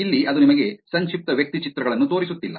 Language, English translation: Kannada, Here it is not showing you the profile pictures